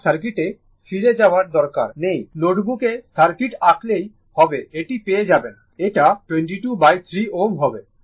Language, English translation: Bengali, I need not go back to the circuit you draw the circuit on your note book and just you can you will get it it will be 22 upon 3 ohm